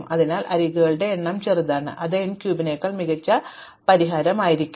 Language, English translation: Malayalam, And so of therefore, the number of edges is small this is going to be a much better solution than n cube